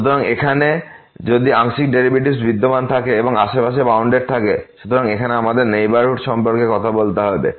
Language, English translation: Bengali, So, here if one of the partial derivatives exist and is bounded in the neighborhood; so, here we have to talk about the neighborhood